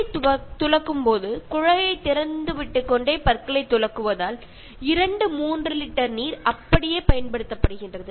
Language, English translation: Tamil, While brushing teeth, so running the tap while brushing teeth, consumes two to three liters just like that